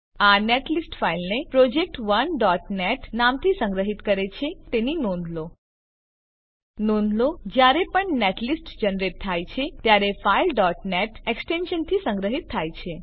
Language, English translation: Gujarati, Note that it saves the netlist file with name project1.net Please note that when the netlist is generated, the file is saved with .net extension